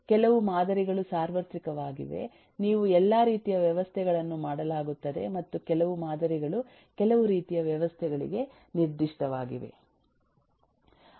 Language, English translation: Kannada, you will be done for all kinds of system and some of the models are specific to certain types of systems